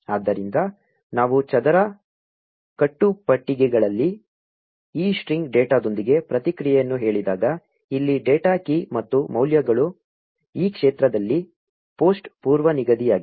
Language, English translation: Kannada, So, when we say response with this string data in square braces, the data here is the key and the values is all the post preset in this field